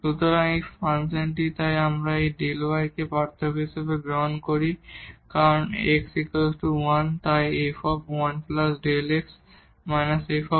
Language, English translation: Bengali, So, this function so, if we take this delta y as this difference because at x is equal to 1 so, 1 plus delta x minus f 1